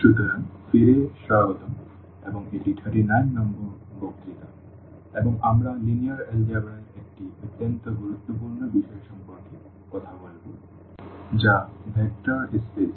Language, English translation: Bengali, So, welcome back and this is lecture number 39 and we will be talking about a very important topic in Linear Algebra that is a Vector Spaces